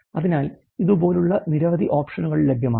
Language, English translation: Malayalam, So, many options like these are available